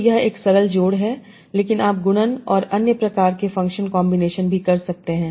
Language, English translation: Hindi, But you can have multiplication and other sort of functional combinations also